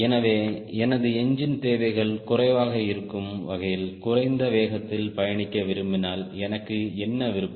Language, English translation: Tamil, so if i want to cruise at a speed which is lower, so that my engine requirements are less, what option i have got